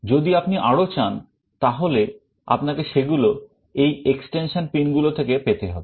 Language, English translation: Bengali, If you want more you will have to access them from these extension pins